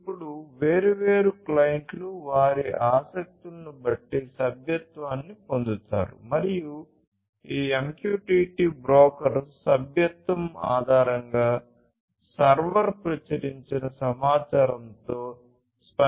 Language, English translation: Telugu, Now, different clients like these would subscribe to depending on their interests subscribe to this data and that subscripts based on the subscription this MQTT broker, the server is going to respond with the published information